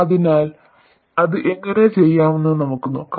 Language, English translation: Malayalam, So, we will say how to do that